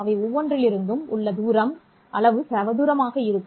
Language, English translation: Tamil, The distance from each of those will be the magnitude square